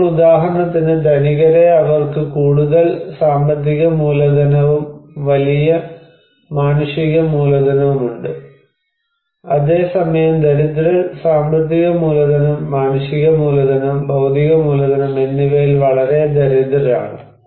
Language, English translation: Malayalam, Now, these like for example the rich people they have greater financial capital, also greater human capital whereas the poor they are very poor at financial capital, human capital and physical capital we can say